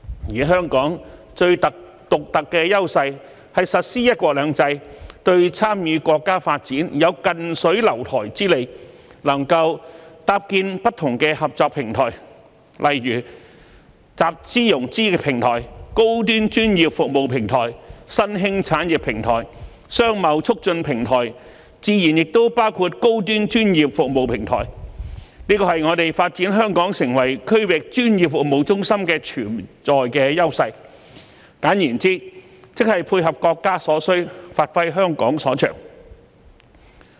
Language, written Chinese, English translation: Cantonese, 而香港最獨特的優勢，是實施"一國兩制"，對參與國家發展有"近水樓台"之利，能夠搭建不同的合作平台，例如集資融資平台、高端專業服務平台、新興產業平台、商貿促進平台，自然亦包括高端專業服務平台，這是我們發展香港成為區域專業服務中心的潛在優勢，簡言之，即配合國家所需，發揮香港所長。, The unique advantage of Hong Kong is the implementation of one country two systems which provides the convenience of closeness for us to participate in the development of our country . Hong Kong is capable of creating different cooperation platforms such as platforms for financing and fund raising high - end professional services emerging industries trade facilitation and the platform for high - end professional services is certainly included . These are the inherent advantages for us to develop Hong Kong into a regional professional services hub